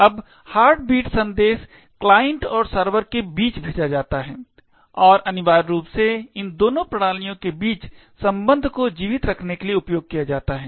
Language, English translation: Hindi, Now, this heartbeat message is sent between the client and the server and essentially used to keep the connection alive between these two systems